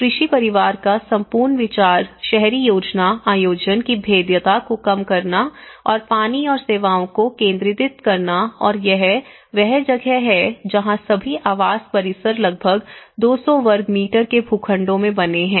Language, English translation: Hindi, Now, here being agricultural family again the whole idea of urban planning is to reduce the vulnerability and the centralizing water and services and this is where all the housing complexes are built in about 200 square meters plots